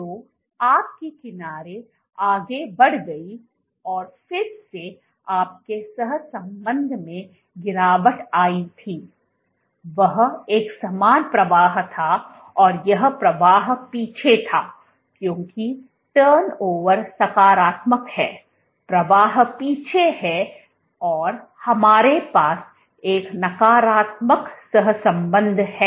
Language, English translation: Hindi, So, your edge moved ahead and again the edge your correlation dropped there was a corresponding flow and this flow was backward because the turnover is positive the flow is backwards we have a negative correlation